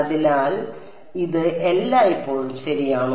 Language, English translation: Malayalam, So, is this always correct